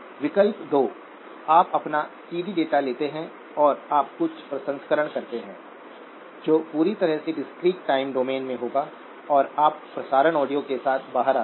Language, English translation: Hindi, Option 2, you take your CD data and you do some processing which would be completely in the discrete time domain and you come out with the broadcast audio